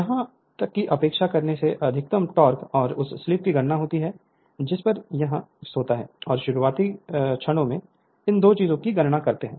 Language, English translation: Hindi, Even neglecting calculates the maximum torque and the slip at which it would occur and calculate the starting torque these two things right